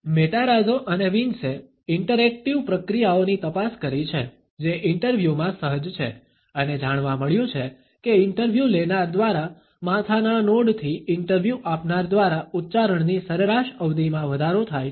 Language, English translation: Gujarati, Matarazzo and Wiens have examined the interactive processes, which are inherent in interviews and found that head nods by the interviewer, increased average duration of utterances by the interviewee